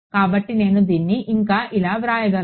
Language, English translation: Telugu, So, I can further write this as